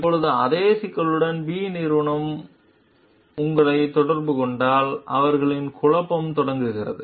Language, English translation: Tamil, Now, when company B contacts you with the same issue, then their dilemma starts